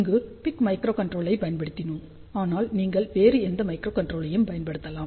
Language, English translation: Tamil, Of course, here we have used pic microcontroller, but you can use any other microcontroller